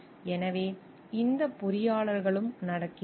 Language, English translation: Tamil, So, this engineers are also happening